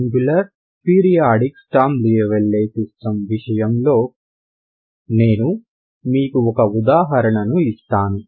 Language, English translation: Telugu, Let me take the let us take the example of singular periodic Sturm Liouville system, ok